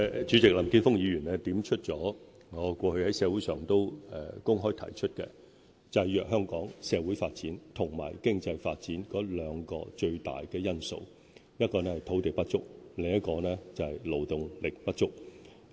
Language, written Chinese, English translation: Cantonese, 主席，林健鋒議員點出了我過去在社會上公開提出的一點，就是制約香港社會發展及經濟發展的兩大主要因素，一個是土地不足，另一個是勞動力不足。, President Mr Jeffrey LAM has highlighted a point which I have publicly made in the past regarding the two major factors constraining Hong Kongs social and economic developments namely land shortage and labour shortage